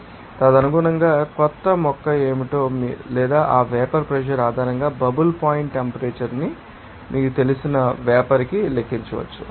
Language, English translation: Telugu, So, accordingly you can calculate what the new plant or to the vapor you know bubble point temperature based on that vapor pressure